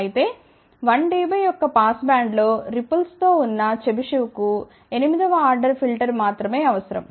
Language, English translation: Telugu, Whereas, a chebyshev with the ripple in the pass band of 1 dB would require only 8th order filter